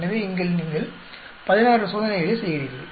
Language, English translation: Tamil, So, here you are doing 16 experiments